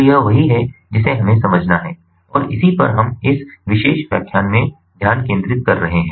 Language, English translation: Hindi, so this is what we have to understand and this is what we are focusing on in this particular lecture